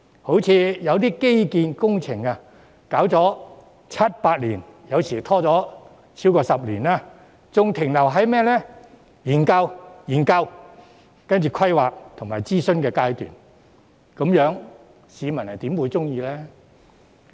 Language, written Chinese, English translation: Cantonese, 例如，有些基建工程拖延了七八年，有時甚至超過10年，還是停留在研究、規劃和諮詢階段，這樣市民又怎會滿意呢？, For example some infrastructure projects have been delayed for seven or eight years or they remain at the stage of study planning and consultation after more than a decade . How can the public be satisfied?